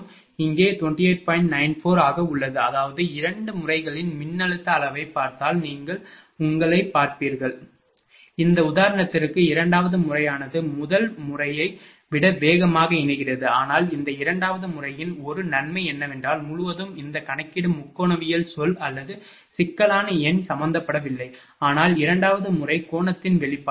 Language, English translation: Tamil, 94 so; that means, and if you look at the you just see yourself if you see the voltage magnitude of both the methods you will find for this example second method is converging faster than the first one, but one advantage of this second method is that, throughout this computation there is no trigonometric term or complex number is involved, but in the second method that expression of angle delta